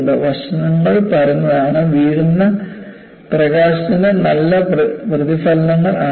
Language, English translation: Malayalam, The facets are flat, and therefore, good reflectors of incident light